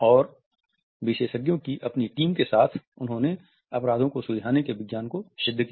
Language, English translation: Hindi, And with his handpicked team of experts they perfected the science of solving crimes